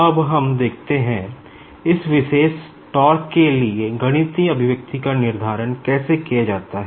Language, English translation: Hindi, Now, let us see, how to determine the mathematical expression for this particular tau